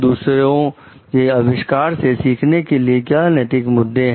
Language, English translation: Hindi, What are their ethical issues in learning from the innovation of others